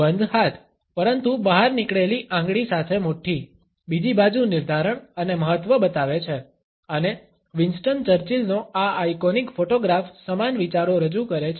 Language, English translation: Gujarati, Closed hands, but fist with a protruding finger, on the other hand shows, determination and emphasis and this iconic photograph of Winston Churchill represents similar ideas